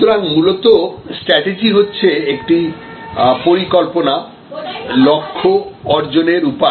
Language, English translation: Bengali, So, strategy, fundamentally it is a plan, the way to achieve our goals